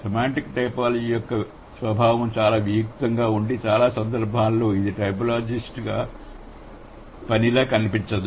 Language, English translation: Telugu, Semantic typology is so abstract by nature that it cannot, like in most of the cases, it does not look like typologist's work